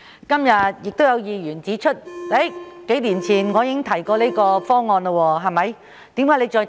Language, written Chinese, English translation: Cantonese, 今天亦有議員指出，數年前我亦曾提出這個方案，為何現在又再次提出。, Today some Members queried why I put forward this proposal again as I had already done so a few years ago